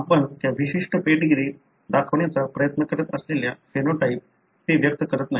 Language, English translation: Marathi, They don’t express the phenotype that you are trying to show in that particular pedigree